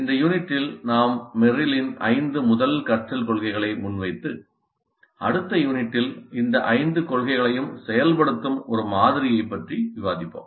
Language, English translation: Tamil, What we will do in this unit is present merills the five first principles of learning and then discuss one model that implements all these five principles in the next unit